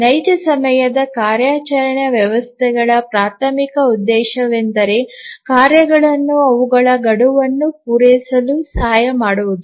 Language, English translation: Kannada, Actually the real time operating systems the primary purpose is to help the tasks meet their deadlines